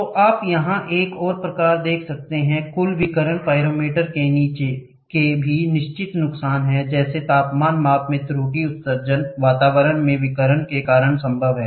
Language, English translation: Hindi, So, total so you can see here another type, a total radiation pyrometer also have certain disadvantage such as the error in temperature measurement is possible due to the emission of radiation at the atmosphere